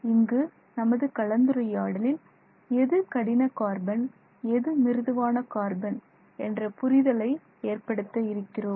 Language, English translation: Tamil, We will also look at how we can distinguish between what is known as hard carbon and something else that is known as soft carbon